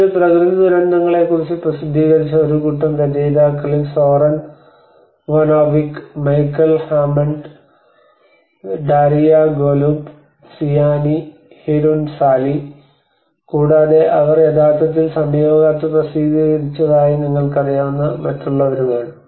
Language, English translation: Malayalam, So this is a group of authors which worked that has been published in natural hazards and Zoran Vojinnovic, and Michael Hammond, Daria Golub, Sianee Hirunsalee, and others you know they have actually published is a very recent document